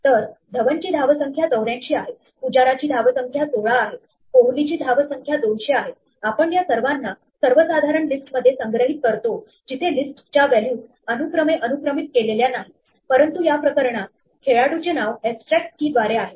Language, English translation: Marathi, So, DhawanÕs score is 84, PujaraÕs score is 16, KohliÕs score is 200, we store these all in a more generic list where the list values are not indexed by position, but by some more abstract key in this case the name of the player